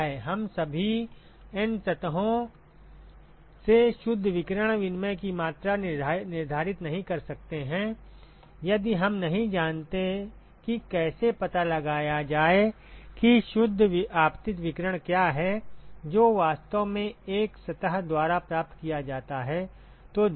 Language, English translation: Hindi, We cannot we cannot quantify the net radiation exchange, from all the N surfaces if we do not know how to find out what is the net incident irradiation that is actually received by a surface